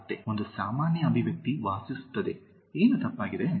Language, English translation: Kannada, Again, a very common expression lives in, what is wrong